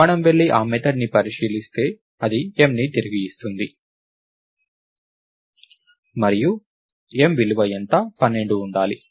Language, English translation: Telugu, If we go and look at that method, it returns m and what is the value of m, its supposed to be 12